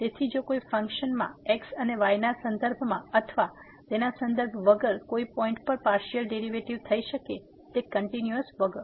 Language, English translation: Gujarati, So, if a function can have partial derivative without or with respect to both and at a point without being continuous there